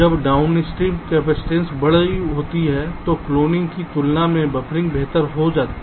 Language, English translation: Hindi, when the downstream capacitance is large, buffering can be better than cloning